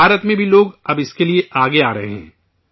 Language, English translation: Urdu, In India too, people are now coming forward for this